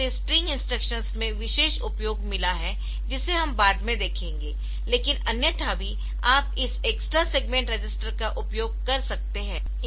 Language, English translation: Hindi, So, this has got particular usage in the string instructions that we will see later, but otherwise also you can use this extra segment register